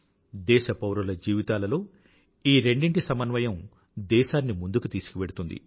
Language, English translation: Telugu, A balance between these two in the lives of our citizens will take our nation forward